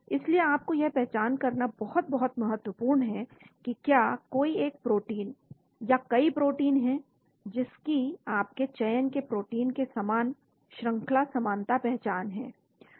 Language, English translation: Hindi, So that is very, very important for you to identify, is there any protein or proteins, which have similar sequence identity as the protein of your selection